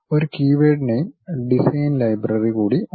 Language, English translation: Malayalam, And there is one more keyword name design library